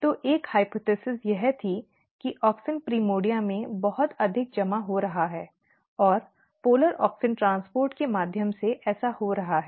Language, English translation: Hindi, So, one hypothesis was that there could be that auxin is getting accumulated very high in the primordia and this is happening through the polar auxin transport